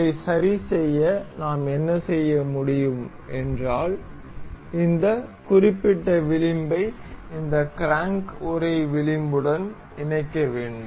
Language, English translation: Tamil, To fix this, what we can do is we will have to coincide this particular edge with the edge of this crank casing